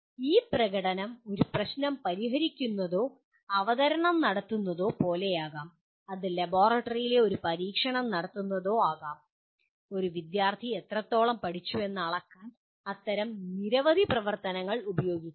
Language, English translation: Malayalam, This performance could be like solving a problem or making a presentation or performing an experiment in the laboratory, it can be, there are many such activities which can be used to measure to what extent a student has learnt